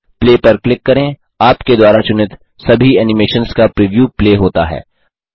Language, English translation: Hindi, Click Play The preview of all the animations you selected are played